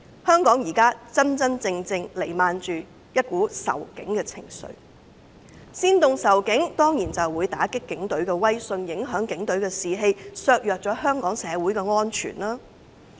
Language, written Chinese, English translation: Cantonese, 香港現時彌漫着仇警情緒，他們煽動仇警，當然會打擊警隊的威信，影響警隊的士氣，以及削弱香港社會的安全。, Anti - police sentiment is now looming over Hong Kong . By inciting such sentiments the prestige of the Police Force will certainly be undermined thereby affecting their morale and diminishing the safety of society